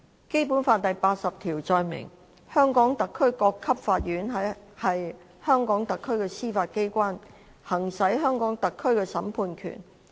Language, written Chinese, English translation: Cantonese, 《基本法》第八十條載明，香港特區各級法院是香港特區的司法機關，行使香港特區的審判權。, Article 80 of the Basic Law states that the courts of HKSAR at all levels shall be the judiciary of HKSAR exercising the judicial power of HKSAR